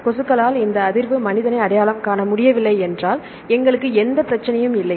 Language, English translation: Tamil, If mosquitoes cannot get this olfaction cannot recognize human, then we do not have any problem